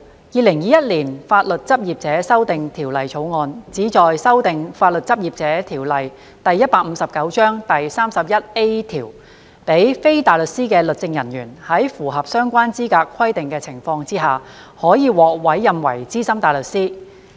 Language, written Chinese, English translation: Cantonese, 《2021年法律執業者條例草案》旨在修訂《法律執業者條例》第 31A 條，讓非大律師的律政人員在符合相關資格規定的情況下，可獲委任為資深大律師。, The Legal Practitioners Amendment Bill 2021 the Bill seeks to amend section 31A of the Legal Practitioners Ordinance Cap . 159 so that legal officers who are not barristers are eligible to be appointed as Senior Counsel SC upon satisfying the relevant eligibility requirements